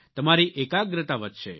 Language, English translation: Gujarati, Your concentration will increase